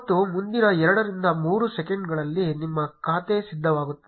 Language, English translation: Kannada, And in next 2 to 3 seconds your account will be ready